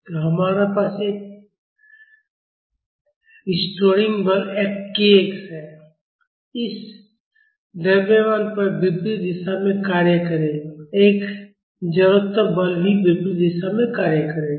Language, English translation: Hindi, So, we have a restoring force k x will be acting on this mass in the opposite direction and an inertia force will also be acting in the opposite direction